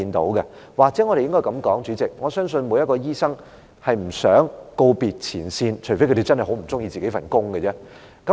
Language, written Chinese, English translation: Cantonese, 主席，或許我們應該這樣說，我相信每名醫生都不想告別前線，除非他們真的很不喜歡自己的工作。, President perhaps we should put it this way . I believe no doctors want to bid farewell to frontline jobs unless they really do not like their own profession